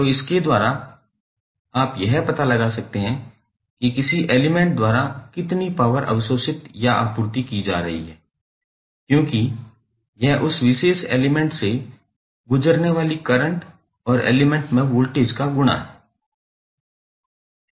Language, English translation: Hindi, So, by this you can find out how much power is being absorbed or supplied by an element because it is a product of voltage across the element and current passing through that particular element